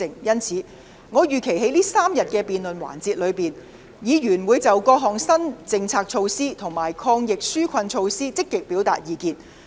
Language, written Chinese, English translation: Cantonese, 因此，我預期在這3天的辯論環節中，議員會就各項新政策措施及抗疫紓困措施積極表達意見。, Hence I expect that during the three - day debate sessions Members will actively express their views on various new policy initiatives and anti - epidemic and relief measures